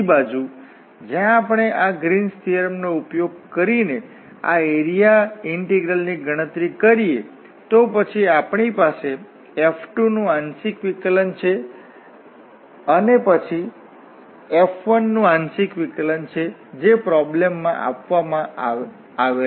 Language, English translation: Gujarati, On the other hand, where we if we compute this area integral using this Green’s theorem, then we have the partial derivative of this F 2 and then partial derivative of this F 1 which are given in the problem